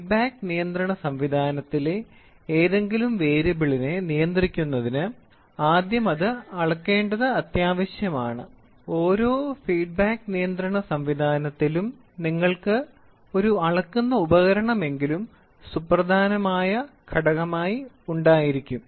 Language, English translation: Malayalam, To control any variable in the in the feedback control system it is first necessary to measure it every feedback control system will you have at least one measuring device as a vital component